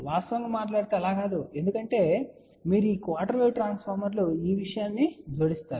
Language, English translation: Telugu, That is not really the case actually speaking because these quarter wave transformers when you keep adding one the thing